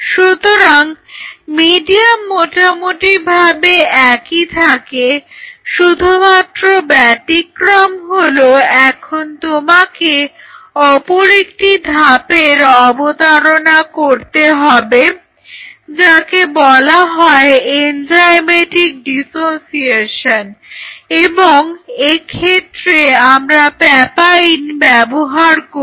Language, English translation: Bengali, So, medium remains more or less the same except that now you have to introduce another step which are which is called enzymatic dissociation which is the papain ok